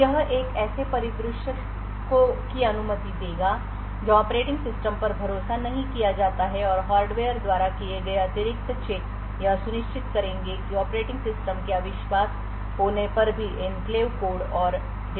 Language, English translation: Hindi, So this would permit a scenario where the operating system is not trusted and the additional checks done by the hardware would ensure that the enclave code and data is kept safe even when the operating system is untrusted